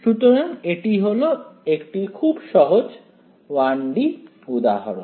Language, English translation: Bengali, So, this is your very simple 1 D example right